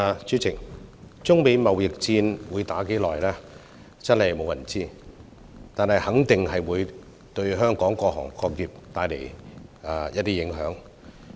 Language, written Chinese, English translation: Cantonese, 主席，中美貿易戰會持續多久真的無人知曉，但肯定會對香港各行各業帶來影響。, President no one knows how long the trade war between China and the United States will last but it is certain that all businesses will be affected